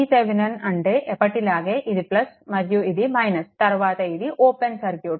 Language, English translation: Telugu, V Thevenin means, this is plus and this is your minus as usual and after this and it is open circuit